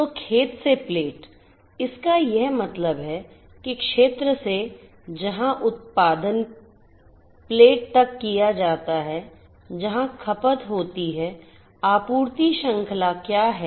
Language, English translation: Hindi, So, field to plate so, what it means is that from the field where the production is made to the plate where the consumption is made, what is the supply chain